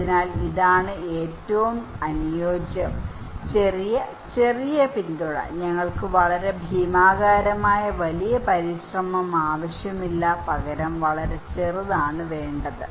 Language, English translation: Malayalam, So, this is the ideal the small, small support, we do not need a very gigantic bigger effort but very small